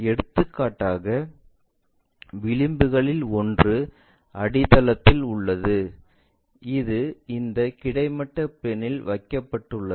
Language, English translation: Tamil, For example, one of the edge on the base, because this is the one, which is placed on this vertical plane, no horizontal plane